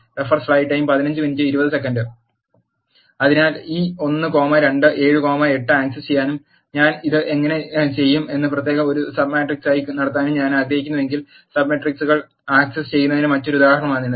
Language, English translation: Malayalam, So, this is another example of accessing sub matrices if I want to access this 1 comma 2 and 7 comma 8 and have it as a sub matrix separately how do I do this